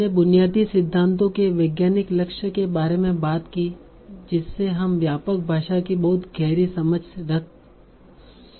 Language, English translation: Hindi, So we talked about the very fundamental scientific goal that that is, can we have a very, very deep understanding of the broad language